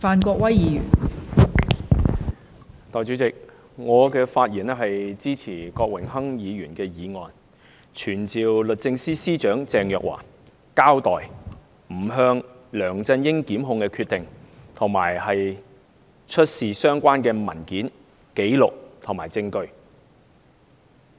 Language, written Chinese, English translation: Cantonese, 代理主席，我發言支持郭榮鏗議員的議案，傳召律政司司長鄭若驊交代不檢控梁振英的決定，並出示相關文件、紀錄和證據。, Deputy President I speak in support of Mr Dennis KWOKs motion to summon the Secretary for Justice Ms Teresa CHENG to explain the decision not to prosecute LEUNG Chun - ying and to produce all relevant papers records and evidence